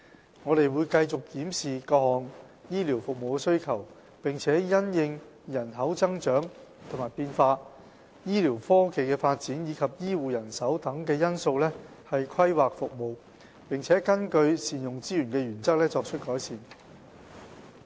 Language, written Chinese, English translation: Cantonese, 醫管局會繼續檢視各項醫療服務的需求，並因應人口增長和變化、醫療科技的發展及醫護人手等因素以規劃其服務，並根據善用資源的原則，作出改善。, We will continue to review the demands for various medical services and plan its services according to factors such as population growth and changes advancement of medical technology and health care manpower . Improvements will also be made while ensuring efficient use of resources